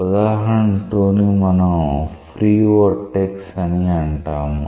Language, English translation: Telugu, Example 2 is something which we call as free vortex